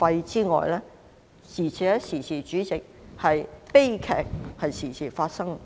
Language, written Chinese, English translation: Cantonese, 此外，主席，悲劇亦經常發生。, Besides President tragedies occur frequently